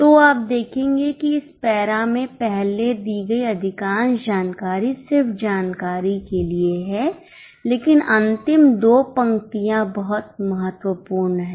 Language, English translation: Hindi, So, you will observe that in this para most of the earlier information is just for the sake of information but the last two lines are very important